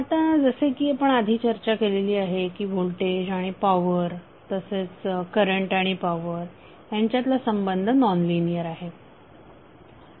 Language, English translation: Marathi, Now that we have discussed earlier that the relationship between voltage and power and current and power is nonlinear